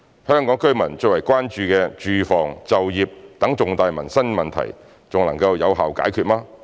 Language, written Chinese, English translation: Cantonese, 香港居民最為關注的住房、就業等重大民生問題還能有效解決嗎？, Could we effectively tackle the main livelihood concerns of Hong Kong people such as the housing and employment problems?